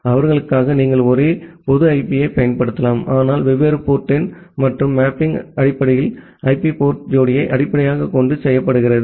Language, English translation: Tamil, And for them you can use the same public IP, but with different port number and the mapping is basically done based on the IP port pair ok